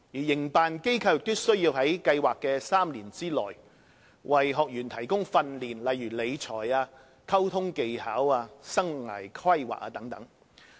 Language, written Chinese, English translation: Cantonese, 營辦機構亦須在計劃的3年內為學員提供訓練，例如理財、溝通技巧和生涯規劃。, The project operator is required to provide training to the participants throughout the three - year project in such respects as financial management communication skills and life planning